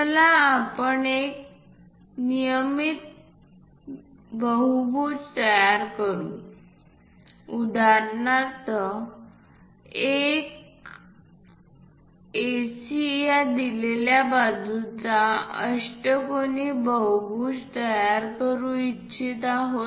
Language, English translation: Marathi, Let us construct a regular polygon; for example, we will like to make octagonal polygon constructed from AC given side